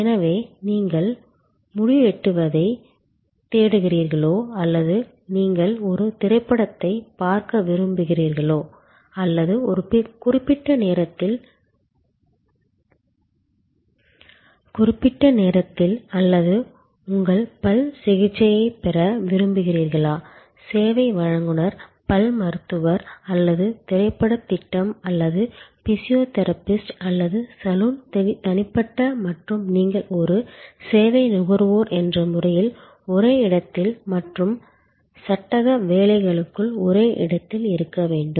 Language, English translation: Tamil, So, whether you are looking for a hair cut or you are wanting to see a movie or at a particular point of time or you are wanting to get your dental treatment, the service provider, the dentist or the movie projection or the physiotherapist or the saloon personal and you as a service consumer must be there at the same place within the same time and space frame work